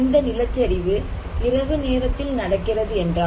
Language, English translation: Tamil, If this is happening; this landslide at night time